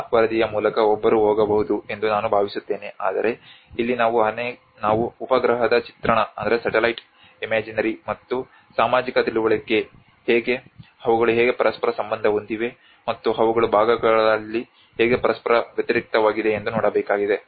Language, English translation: Kannada, I think one can go through that report but here what we have to see is what we have to learn from is that how even the satellite imagery and the social understanding, how they are able to correlate with each other, and also they in parts they also contrast with each other